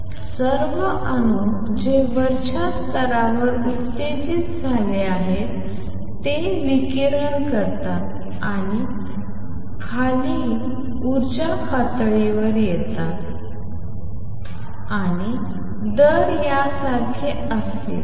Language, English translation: Marathi, So, all the atoms that have been excited to an upper level would radiate and come down to lower energy level and the rate would be like this